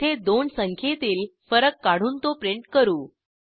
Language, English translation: Marathi, In this we calculate the difference of two numbers and we print the difference